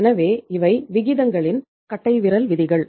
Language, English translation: Tamil, So these were the rules of thumbs of the ratios